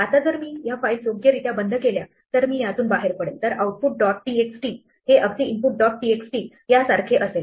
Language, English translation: Marathi, Now, if I correctly close these files then come out of this, then output dot txt is exactly the same as input dot txt